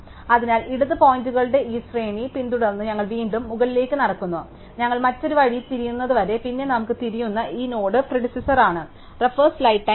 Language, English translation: Malayalam, So, we walk back up following these sequence of left pointers, until we turn the other way and then this node we have turn is predecessors